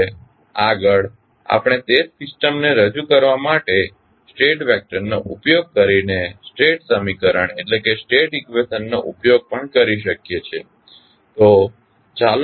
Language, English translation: Gujarati, Now, next we can also use the State equation using the state vector for representing the same system